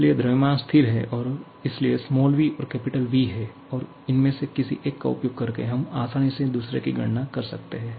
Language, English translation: Hindi, So, mass remains constant and therefore small v and capital V were using one of them, we can easily calculate the other